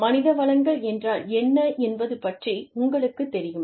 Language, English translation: Tamil, You know, what human resources are